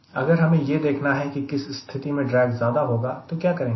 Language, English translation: Hindi, if i ask a question in which case drag will be more, let us find out